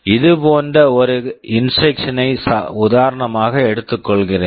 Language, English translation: Tamil, Let me take an example instruction like this